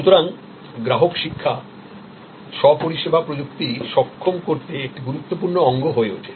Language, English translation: Bengali, So, customer education becomes an important part to enable self service technology